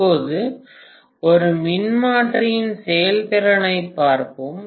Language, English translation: Tamil, Now let us look at efficiency of a transformer